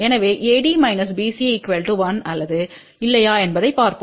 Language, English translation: Tamil, So, let us see AD minus BC is equal to 1 or not